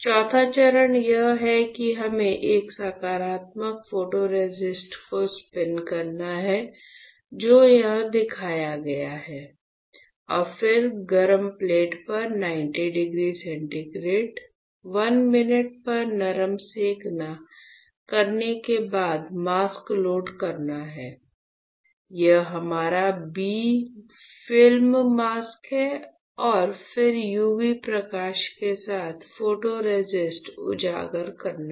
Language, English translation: Hindi, So, the fourth step is that we have to spin coat a positive photoresist, which is shown here and then perform soft bake at 90 degree centigrade 1 minute on the hot plate followed by loading a mask, this is our bright film mask and then exposing the photoresist with UV light